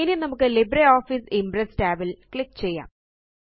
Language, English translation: Malayalam, Now lets click on the LibreOffice Impress tab